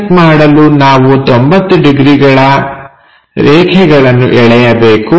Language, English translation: Kannada, Project so, 90 degrees lines we have to draw